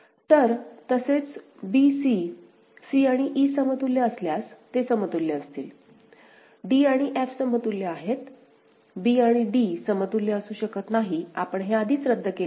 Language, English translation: Marathi, So, similarly b c, they will be equivalent if c and e are equivalent; c and e are equivalent and d and f are equivalent fine; b and d cannot be equivalent, we have already crossed it out ok